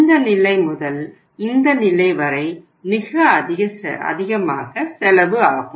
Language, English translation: Tamil, From this level to this level the cost is very high